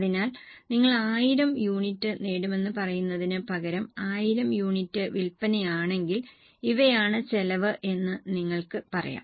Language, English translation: Malayalam, So, instead of saying that you will achieve 1,000 units, so these are the costs, you will say that if 1,000 units is a sales, these are the costs, if 1,100 these are the cost